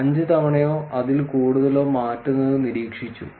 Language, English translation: Malayalam, Observed to change 5 time or more